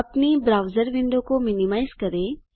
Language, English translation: Hindi, Minimize your browser window